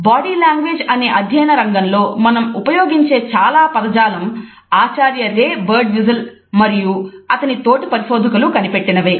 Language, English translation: Telugu, Several terms which we still use to a study the field of body language, but invented by professor Ray Birdwhistell and his fellow researchers